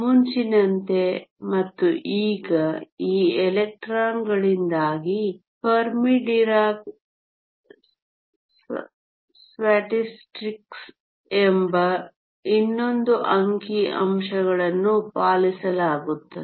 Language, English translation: Kannada, Earlier as well now because of these electrons obey another set of statistics called Fermi Dirac Statistics